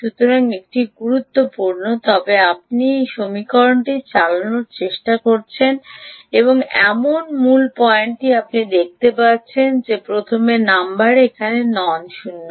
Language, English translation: Bengali, but you see, the main point we are trying to drive at in this equation is number one, is this is nonzero